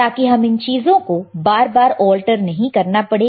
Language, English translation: Hindi, So, we do not have to alter these things again and again right